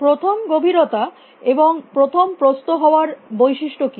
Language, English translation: Bengali, What are the characteristics of depth first and breadth first